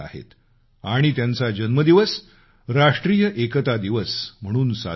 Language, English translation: Marathi, And that is why his birthday is celebrated as National Unity Day